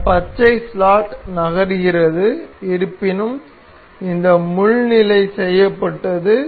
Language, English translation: Tamil, So, this green slot is moving however this pin is fixed